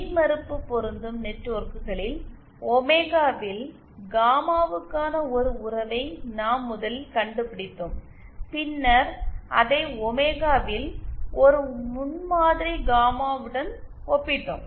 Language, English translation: Tamil, In the impedance matching networks, we 1st had found out a relationship for, gamma in omega and then we had equated it to a prototype gamma in omega